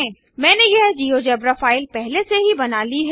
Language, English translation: Hindi, I have already created this geogebra file